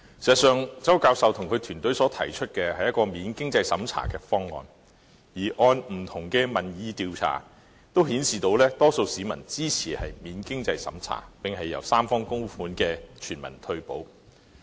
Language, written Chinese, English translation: Cantonese, 周教授及其團隊所提出的，是一個免經濟審查的方案；而不同的民意調查都顯示，多數市民支持免經濟審查，並設立由三方供款的全民退休保障方案。, Prof CHOW and his team propose a non - means - tested scheme . Various opinion surveys also indicate support from the majority of people on a non - means - tested universal retirement protection system with tripartite contributions